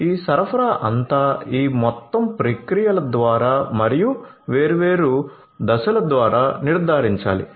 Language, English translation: Telugu, So, all these supply through these entire processes and the different steps will have to be ensured